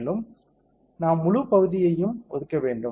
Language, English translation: Tamil, And we have to assign the whole area